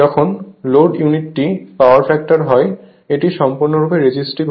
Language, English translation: Bengali, When load unity power factor, it is purely resistive right